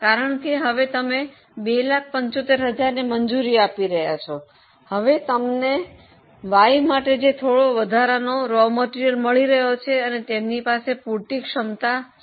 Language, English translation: Gujarati, Because now earlier you were allowing 275, now you are getting some extra raw material for why and they are having enough capacity